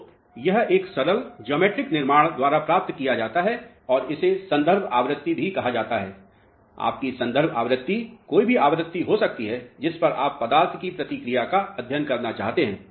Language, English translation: Hindi, So, this is obtained by simple geometrical construction and this is what is also termed as a reference frequency, your reference frequency can be any frequency at which you want to study the response of the material